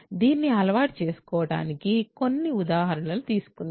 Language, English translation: Telugu, So, just to get used to this let us take some examples